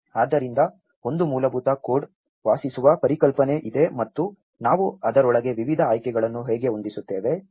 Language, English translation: Kannada, So, there is a basic code dwelling concept and how we tailor different options within it